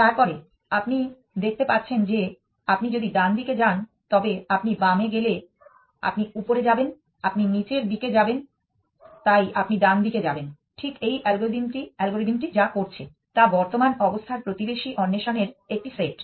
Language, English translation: Bengali, Then, you can see that if you go right you will be going higher if you go left you will be going lower, so you go right, which is exactly what this algorithm is doing that it set of look exploring the neighborhood of the current state